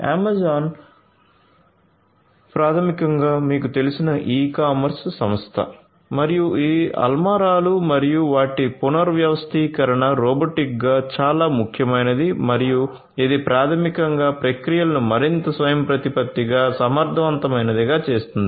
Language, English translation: Telugu, Amazon basically is the e commerce company as you know and this shelves and their rearrangement robotically is very important and that basically makes the processes much more autonomous, efficient and so on